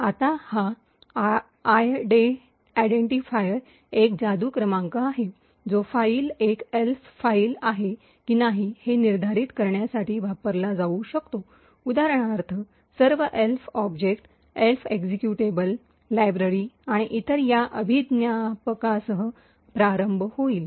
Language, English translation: Marathi, So, this identifier is a magic number which can be used to determine whether the file is an Elf file, so for example all Elf objects, Elf executables, libraries and so on would start off with this particular identifier